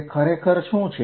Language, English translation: Gujarati, Is it real